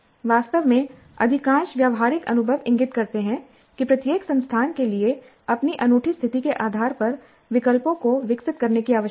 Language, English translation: Hindi, In fact, most of the practical experiences seem to indicate that choices need to evolve for each institute based on its own unique position